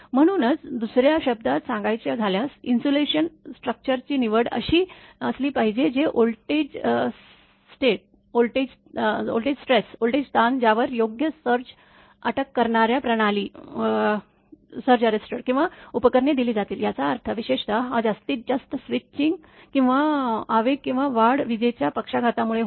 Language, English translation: Marathi, So, that is why in other words it is the selection of an insulation structure that will withstand the voltage stresses to which the system or equipment will be subjected together with the proper surge arrester; that means, particularly this maximum switch or impulse or surge comes due to the lightning stroke